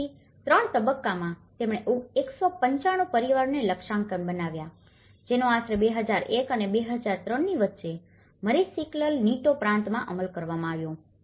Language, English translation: Gujarati, So, the 3 stages, they targeted 195 families, which is implemented in Mariscal Nieto Province between about 2001 and 2003